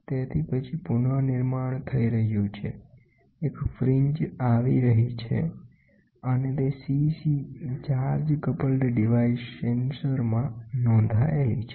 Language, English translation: Gujarati, So, then there is a reconstruction happening, a fringe is happening and that is recorded at CC charge coupled device sensor it is getting done